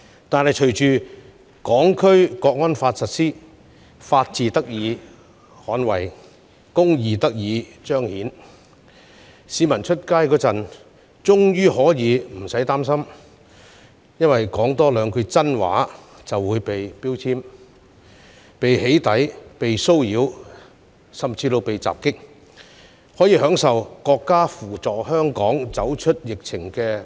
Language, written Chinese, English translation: Cantonese, 然而，隨着《香港國安法》的實施，法治得以捍衞，公義得以彰顯，市民外出時終於可以無需擔心多說兩句真心話會被"標籤"、被"起底"、被騷擾甚至被襲擊，並可享受國家扶助香港走出疫情的措施。, Yet thanks to the implementation of the National Security Law the rule of law is safeguarded and justice is done . Members of the public can now speak their heart out freely in public places without worrying about being labelled doxxed harassed or even attacked . They can also benefit from the countrys measures that help Hong Kong come out of the epidemic